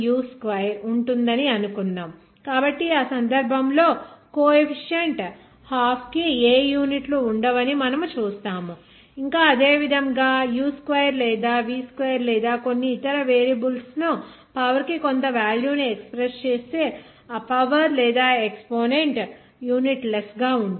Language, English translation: Telugu, suppose energy it will be 1/2 into m into u square so, in that case, we will see that the coefficient half will not have any units yet similarly, exponents also will be unit less like if you are expressing that u2 or v2 or certain other variables that to the power some value, then that power or exponent will be unitless